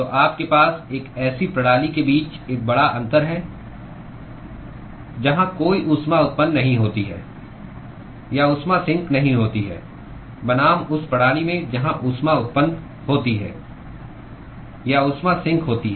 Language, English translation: Hindi, So, this is a big difference between what you have with a system where there is no heat generation or heat sink versus the system where there is heat generation or a heat sink